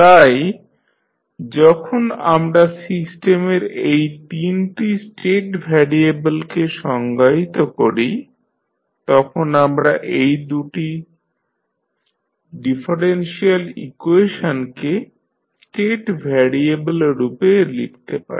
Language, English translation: Bengali, So, when we define these 3 state variables for the system we can write these 2 differential equation in the form of the state variable